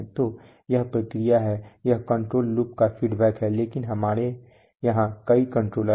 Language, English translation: Hindi, So this is the process, this is the feedback of the control loop but we are having a number of controller here